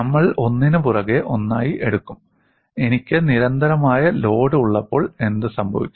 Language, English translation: Malayalam, And we will take up one after another, what happens when I have a constant load